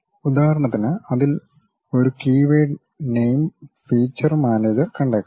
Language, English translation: Malayalam, For example, in that we might come across a keyword name feature manager